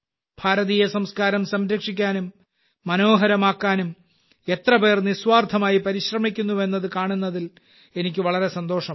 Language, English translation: Malayalam, I feel good to see how many people are selflessly making efforts to preserve and beautify Indian culture